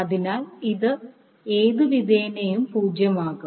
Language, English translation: Malayalam, So, this will be anyway become zero